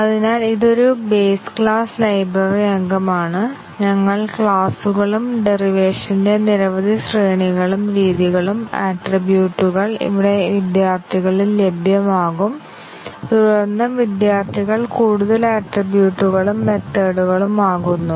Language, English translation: Malayalam, So, this is a base class library member and we have derived classes and several hierarchies of derivation and the methods, attributes here become available in students and then the students are further attributes and methods